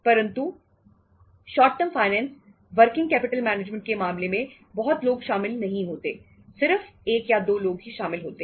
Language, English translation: Hindi, But in case of short term finance working capital management, not large number of the people are involved; only 1 or 2 people are involved